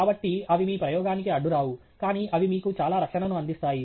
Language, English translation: Telugu, So, they do not get in the way of your experiment, but they provide you with a lot of protection